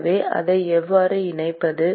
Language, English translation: Tamil, So, how do we incorporate that